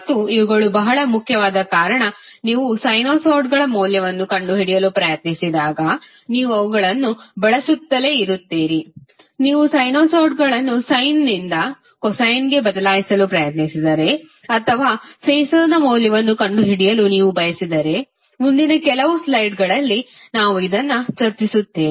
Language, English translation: Kannada, And these are very important because you will keep on using them when you try to find out the value of sinusoid like if you want to change sinusoid from sine to cosine or if you want to find out the value of phases which we will discuss in next few slides